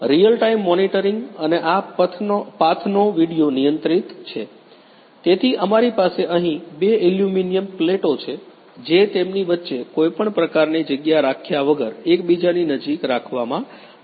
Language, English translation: Gujarati, Real time monitoring and controlled video of this path, so we have here two aluminum plates which are being placed very close to each other without maintaining any gap between them